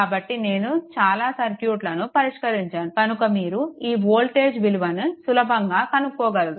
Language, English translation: Telugu, So, many circuits we have solved right and your So, easily you can find out what is the voltage, right